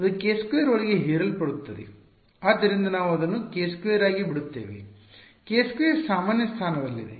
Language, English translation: Kannada, So, we will just leave it as k square; k squared is in general position dependent